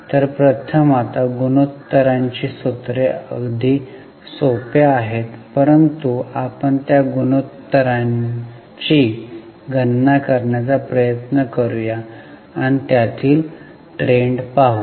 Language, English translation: Marathi, So, first one, now the formulas for the ratios are pretty simple, almost common sense, but let us try to calculate the important ratios and observe the trends in it